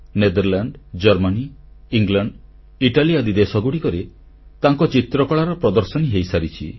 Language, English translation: Odia, He has exhibited his paintings in many countries like Netherlands, Germany, England and Italy